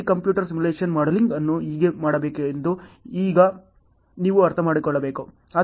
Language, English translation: Kannada, Now you have to understand how to do this computer simulation modeling also